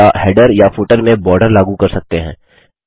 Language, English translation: Hindi, Or apply a border to the header or footer